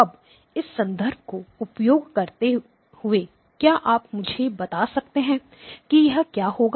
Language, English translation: Hindi, Now using this as a reference can you tell me what this will be